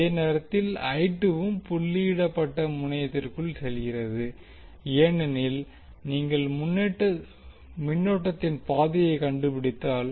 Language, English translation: Tamil, At the same time I 2 is also going inside the dotted terminal because if you trace the path of the current